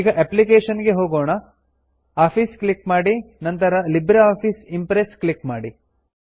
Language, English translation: Kannada, Let us Go to Applications,click on Office,then click on LibreOffice Impress